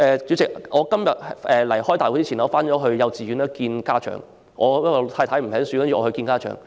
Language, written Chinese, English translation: Cantonese, 主席，我今天出席會議前曾到幼稚園見老師，因為我太太沒空，所以由我出席。, President I went to my sons kindergarten to meet his teacher before attending this meeting today . My wife was busy and so I attended the meeting